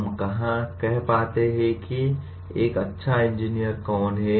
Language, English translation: Hindi, Where do we find who is a good engineer